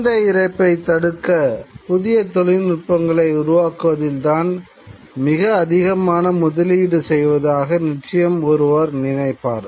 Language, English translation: Tamil, Certainly one would think that there would be far greater investment in developing newer kind of technologies to prevent child mortality